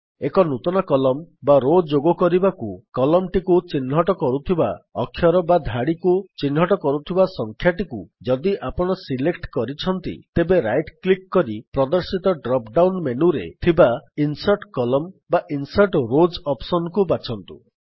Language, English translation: Odia, If you have selected a column by clicking the Alphabet that identifies it or a row by the Number that identifies it, then right click and choose the Insert Columns or Insert Rows option in the drop down menu that appears, in order to add a new column or row